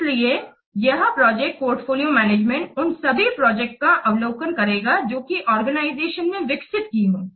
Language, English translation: Hindi, So, this project portfolio management will provide an overview of all the projects that the organization developing